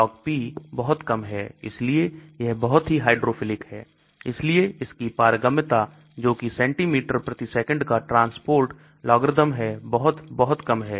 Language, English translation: Hindi, As the Log P is very low, it is very hydrophilic so the permeability that is its transport logarithm of centimeter per second is also very, very low